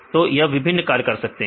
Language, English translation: Hindi, So, they can perform various functions